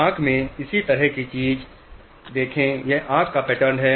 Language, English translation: Hindi, Similar thing in the eye, see this is the pattern of the eye